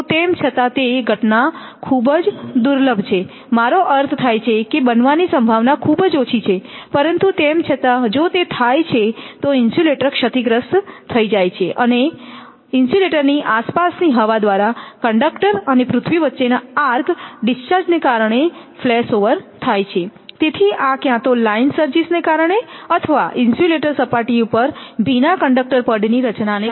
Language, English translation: Gujarati, Although that phenomena is very rare it happens I mean the probability of happening is very less, but still if it happens means that insulators is will be totally damaged right and then flash over is caused by an arc discharge between the conductor to an earth through air surrounding the in insulator